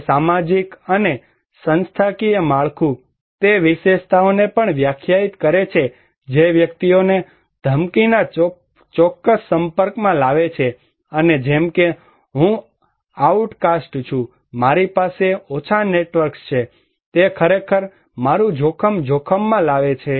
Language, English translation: Gujarati, It also defined the social and institutional structure, features of that one that also bring individuals in a particular exposure of threat and like if I am an outcast, I have less networks, it actually increase my exposure to a hazard, to a threat, to a risk